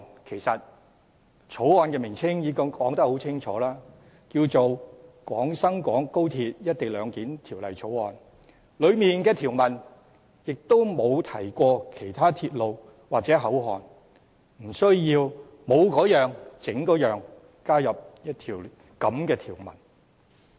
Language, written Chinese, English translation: Cantonese, 其實法案的名稱已經很清楚，名為"《廣深港高鐵條例草案》"，當中條文亦沒有提及其他鐵路或口岸，故無須多此一舉，加入這樣的一項條文。, In fact the title of the Bill which reads the Guangzhou - Shenzhen - Hong Kong Express Rail Link Co - location Bill is already clear enough and while there is no mention of any other railway or port it will be unnecessary to add such a redundant clause